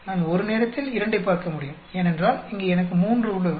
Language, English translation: Tamil, I can look two at a time, because here I have three